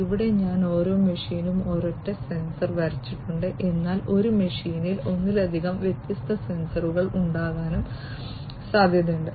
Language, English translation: Malayalam, Here I have drawn a single sensor per machine, but it is also possible that a machine would have multiple different sensors